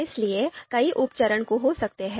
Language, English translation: Hindi, So, there could be a number of sub steps